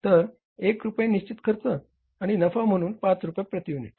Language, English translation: Marathi, 1 rupees is the fixed cost and 5 rupees as the profit